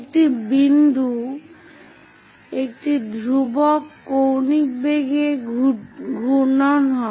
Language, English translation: Bengali, One of the point is rotating at constant angular velocity